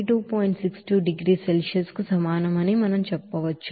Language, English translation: Telugu, 62 degree Celsius